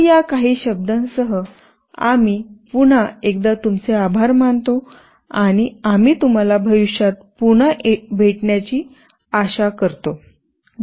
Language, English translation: Marathi, So, with these few words, we thank you once again, and we hope to see you again in the future